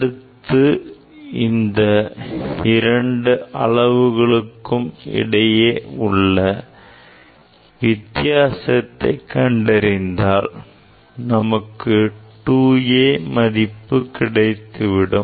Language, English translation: Tamil, then that will the difference of these 2 reading will give us 2 A we will give us 2 A